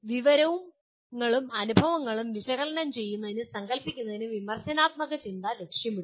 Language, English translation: Malayalam, The critical thinking aims at analyzing and conceptualizing information and experiences